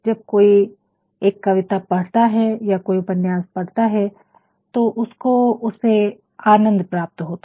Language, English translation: Hindi, When somebody reads a poem or somebody reads a novel, one actually derives the pleasure